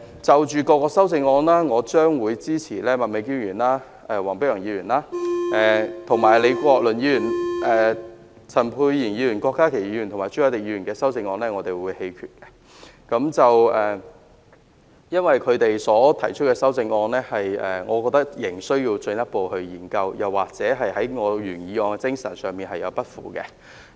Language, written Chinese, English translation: Cantonese, 就各項修正案而言，我將會支持麥美娟議員、黃碧雲議員及李國麟議員的修正案，而陳沛然議員、郭家麒議員及朱凱廸議員的修正案，我們會投棄權票，因為我認為他們在修正案中所提出的觀點，仍需要進一步研究，又或是有違我原議案的精神。, Concerning the various amendments I will support the amendments proposed by Ms Alice MAK Dr Helena WONG and Prof Joseph LEE while abstaining from voting on the amendments proposed by Dr Pierre CHAN Dr KWOK Ka - ki and Mr CHU Hoi - dick as I think their views put forth in their amendments still need further study or contravene the spirit of my original motion